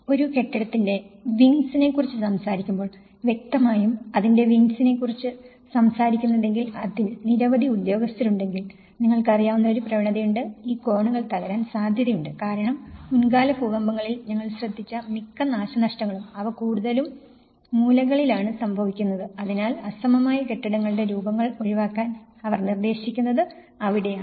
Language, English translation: Malayalam, So, obviously if you are talking about wings and keeping many officers in the building's obviously, there is a tendency that you know, there will be tendency, that these corners can break because most of the damages which we have noticed in the past earthquakes, they mostly occur in the corners, so that is where they try to suggest, try to avoid the asymmetrical buildings forms